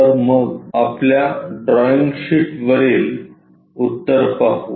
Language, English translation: Marathi, So, let us look at the solution on our drawing sheet